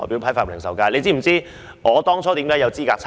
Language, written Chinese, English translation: Cantonese, 大家是否知道我當初如何有資格參選？, Does anyone know how I was qualified for running in the Election?